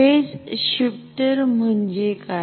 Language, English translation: Marathi, What is a phase shifter